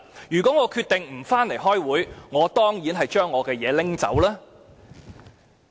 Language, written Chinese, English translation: Cantonese, 如果我決定不回來開會，我當然會拿走我的東西。, If I decided not to return to a meeting I will certainly take away my stuff